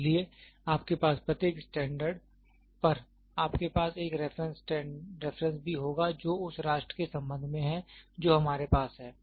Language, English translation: Hindi, So, at every standard you have, then you will also have a reference which with respect to that nation we have that standards